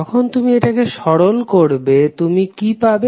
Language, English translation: Bengali, When you simplify, what you will get